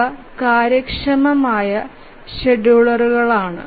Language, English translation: Malayalam, So, these are efficient scheduler